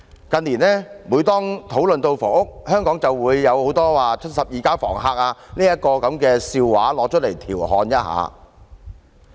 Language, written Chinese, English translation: Cantonese, 近年，每當討論房屋問題時，大家便會說出香港許多"七十二家房客"的笑話來調侃一下。, Such an act can be described as drinking poison to quench thirst . In recent years every time we discuss the housing problem we would tell jokes about The House of 72 Tenants in Hong Kong to amuse ourselves